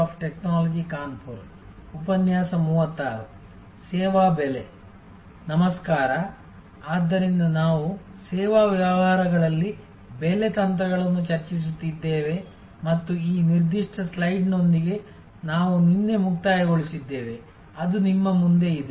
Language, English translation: Kannada, Hello, so we are discussing pricing strategies in services businesses and we concluded yesterday with this particular slide, which is in front of you